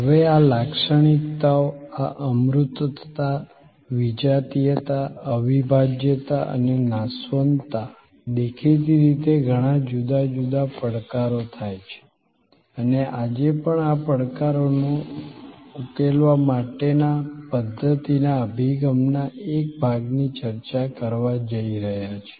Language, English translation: Gujarati, Now, these characteristics, this intangibility, heterogeneity, inseparability and perishability, obviously creates many different challenges and we are going to discuss today one part of a system's approach to address these challenges